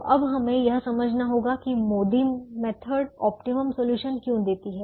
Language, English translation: Hindi, so now we have to understand why the m o d i method gives the optimum solution